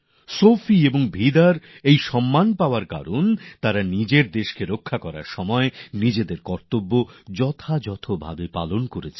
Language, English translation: Bengali, Sophie and Vida received this honour because they performed their duties diligently while protecting their country